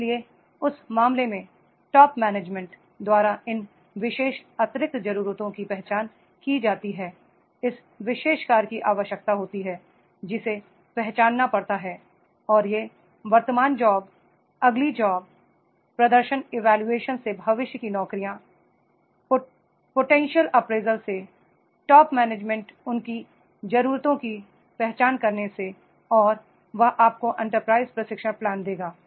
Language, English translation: Hindi, So therefore in that case, these particular additional needs identified by the top management, this particular job that has to be required, it has to be identified and these the present job, the next job, the future jobs, from the performance appraisal, from the potential appraisal, from identifying the needs of the top management and that will give you the enterprise training plan